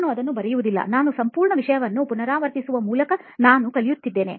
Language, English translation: Kannada, I will not write it, I used to learn like by repeating the whole thing I will learn it